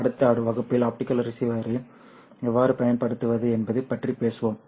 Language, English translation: Tamil, We will talk about how to optimize the optical receiver in the next class